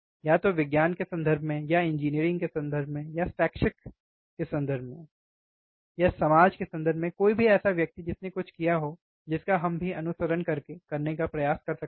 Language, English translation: Hindi, Either in terms of science or in terms of engineering or in terms of academics, or in terms of society, anything a person who has done something on which we can also try to follow